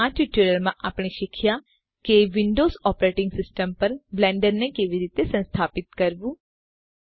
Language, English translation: Gujarati, So in this tutorial, we have learnt how to install Blender on a Windows operating system